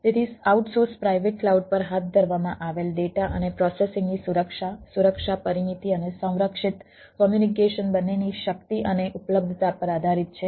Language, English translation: Gujarati, so, ah, the security of data and processing conducted on the outsource private cloud depends on the strength and availability of both security perimeters and of the protected communication